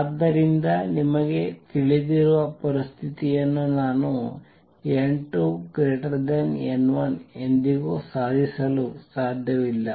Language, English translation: Kannada, So, I can never achieve a situation where you know n 2 greater than n 1